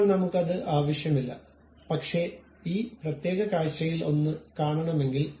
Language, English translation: Malayalam, Now, I do not want that, but I would like to see one of this particular view